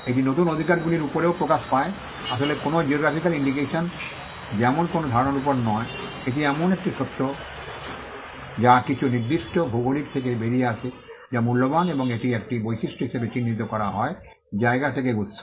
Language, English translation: Bengali, It also manifests itself on the new rights are not actually on ideas like a geographical indication is not actually on some idea, it is the fact that there are certain products that come out of a particular geography which are valuable and it is an attribution to the origin of from that place